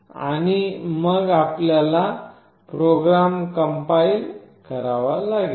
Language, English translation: Marathi, And then you have to compile the program